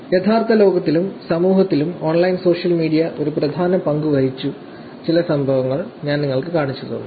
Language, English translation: Malayalam, And then, I looked at, I showed you some events, where online social media has played an important role in the real world and in the society also